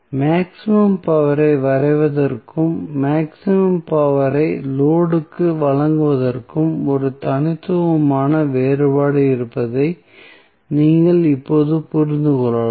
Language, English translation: Tamil, So, you can now understand that there is a distinct difference between drawing maximum power and delivering maximum power to the load